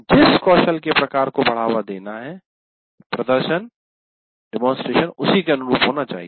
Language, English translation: Hindi, And obviously, demonstration should be consistent with the type of skill being promoted